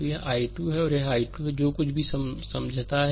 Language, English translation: Hindi, So, this is your i 2 and this is your i 3, whatever we have explain